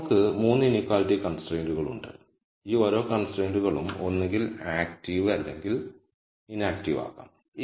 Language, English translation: Malayalam, And now we have 3 inequality constraints and each of these constraints could be either active or inactive